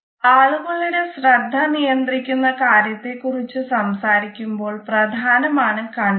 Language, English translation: Malayalam, Eyes are enabler when we talk about controlling the attention of the people